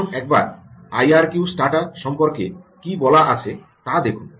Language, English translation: Bengali, now look at what it says about i r q stata